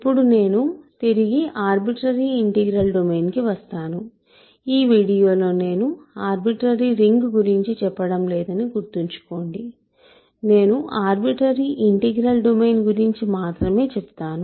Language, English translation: Telugu, So, now, I am back in arbitrary integral domain remember that I am not working with an arbitrary ring in this video, I am working with an arbitrary integral domain